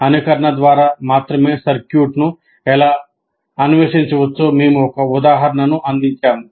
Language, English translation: Telugu, We're just giving an example how a circuit of this nature can only be explored through simulation